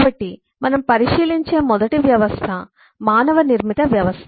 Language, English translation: Telugu, so the first system we take a look at is a man made system